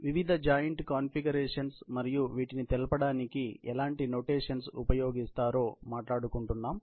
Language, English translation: Telugu, We were discussing about the various joint configurations and how you represent them in terms of notations